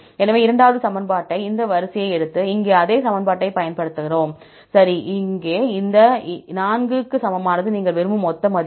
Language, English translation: Tamil, So, we take the second equation, this sequence and apply the same equation here, right, this equal to this 4 is the total value you want